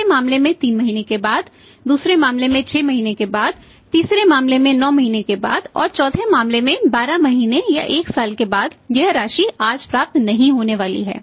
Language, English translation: Hindi, In the first case after 3 months in the second case after 6 months in the third case after 9 months and in the fourth case after 12 months or one year this amount is not going to received today